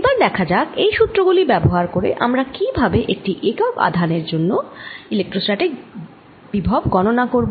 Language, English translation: Bengali, let us see how do we use these equations to get electrostatic potential for a unit charge